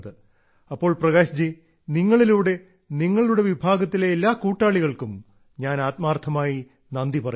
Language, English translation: Malayalam, Prakash ji, through you I, thank all the members of your fraternity